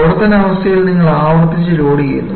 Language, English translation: Malayalam, In service condition, you have repeated loading